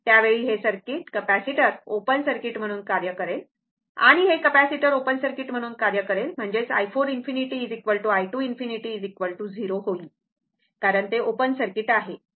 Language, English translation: Marathi, At that time, this capacitor will act as open circuit and this capacitor will act as open circuit; that means, i 4 infinity is equal to i 2 infinity will be 0